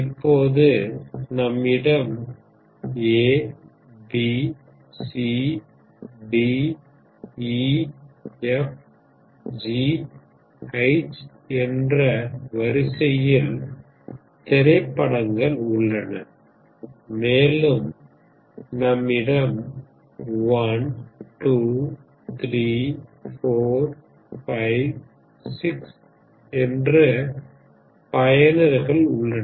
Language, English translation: Tamil, So you have movies A B C D E F G H and you have users 1 2 3 4 5 6